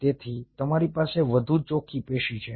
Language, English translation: Gujarati, ok, so you have a much more cleaner tissue